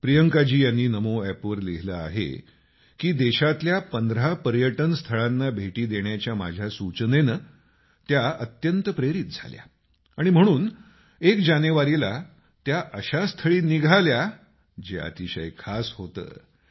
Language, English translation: Marathi, Priyanka ji has written on Namo App that she was highly inspired by my suggestion of visiting 15 domestic tourist places in the country and hence on the 1st of January, she started for a destination which was very special